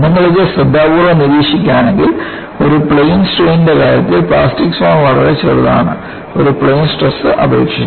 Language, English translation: Malayalam, If you watch it carefully, the plastic zone in the case of a plane strain is much smaller than, what you have in the case of a plane stress